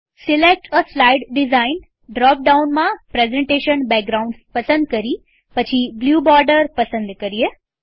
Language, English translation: Gujarati, In the Select a slide design drop down, select Presentation Backgrounds